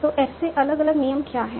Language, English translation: Hindi, So, what are the different rules from S